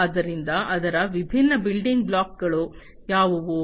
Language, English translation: Kannada, So, what are the different building blocks of it